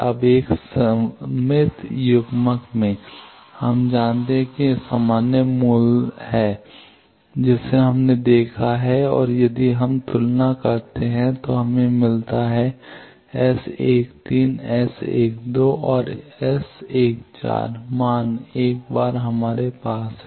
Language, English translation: Hindi, Now, in a symmetrical coupler, we know this is the generic value that we have seen and if we compare then we get that the S 13, S 12 and S 14 values once we have that